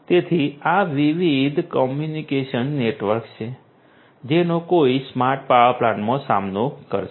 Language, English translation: Gujarati, So, these are these different communication networks that one would encounter in a smart power plant